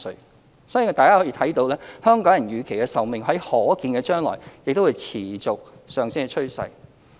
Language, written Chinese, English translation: Cantonese, 我相信大家也看到，香港人的預期壽命在可見的將來有持續上升的趨勢。, I believe Members must have also noticed that the life expectancy at birth of the population of Hong Kong will be on a rising trend in the foreseeable future